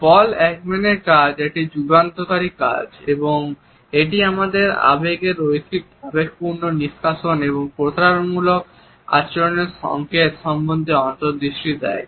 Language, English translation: Bengali, Paul Ekman's work is a path breaking work and it gives us insights into line emotional leakages of our emotions and also to the clues to deceitful behavior